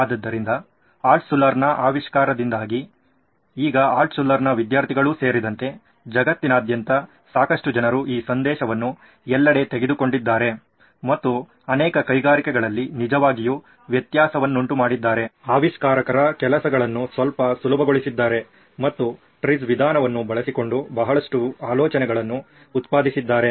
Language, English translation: Kannada, So this is the theory that Altshuller came and this generated and now lots of people across the globe including Altshuller’s students have taken the message all across and have really made a difference in many many industries, made inventors jobs a little easier and generated a lot of ideas using TRIZ as a method